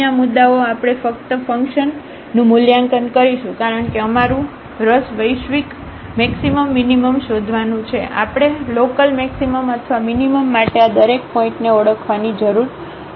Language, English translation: Gujarati, So, here these points we will evaluate simply the function because our interest is to find the global maximum minimum, we do not have to identify each of this point for local maximum or minimum